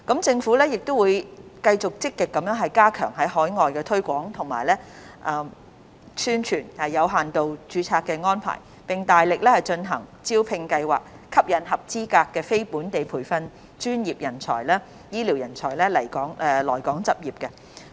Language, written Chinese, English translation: Cantonese, 政府亦會繼續積極加強在海外推廣及宣傳有限度註冊安排，並大力進行招聘計劃，吸引合資格的非本地培訓醫療專業人員來港執業。, The Government will also continue to actively promote and publicize for the limited registration arrangement overseas and conduct recruitment exercises to attract qualified non - locally trained health care professionals to practise in Hong Kong